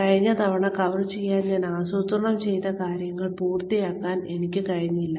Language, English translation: Malayalam, I was unable to finish, what I planned, to cover last time